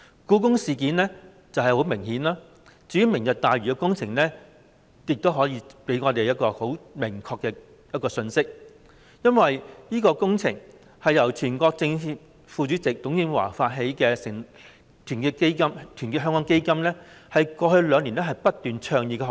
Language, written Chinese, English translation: Cantonese, "故宮事件"是很明顯的例子，至於"明日大嶼願景"的相關工程，也給我們一個很明確的信息，因為這項工程是全國政協副主席董建華成立的團結香港基金過去兩年來不斷倡議的項目。, The Palace Museum Incident is an obvious example . As for the projects related to Lantau Tomorrow Vision it delivers to us a very clear message . This project is advocated and promoted by Our Hong Kong Foundation established by TUNG Chee - hwa Vice Chairman of the National Committee of the Chinese Peoples Political Consultative Conference